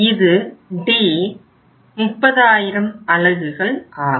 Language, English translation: Tamil, This is 1500 units